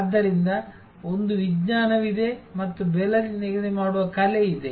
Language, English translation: Kannada, So, there is a science and there is an art of pricing